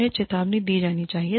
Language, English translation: Hindi, They should be warned